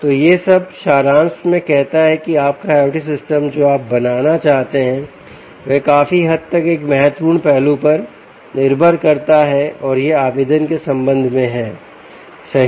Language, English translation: Hindi, so all this in summary says that your i o t system that you want to build depends largely on one important aspect, and that is with respect to application right